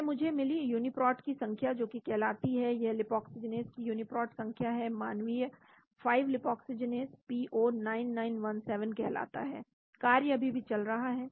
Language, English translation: Hindi, This I got the Uniprot number that is called this is the Uniprot number of lipoxygenase is human 5 lipoxygenase is called P09917, the job is still running